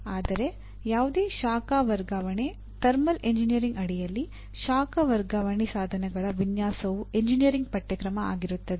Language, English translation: Kannada, But whereas any heat transfer, design of any heat transfer equipment under thermal engineering will constitute an engineering course